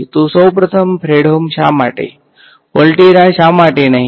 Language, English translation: Gujarati, So, first of all Fredholm why, why not Volterra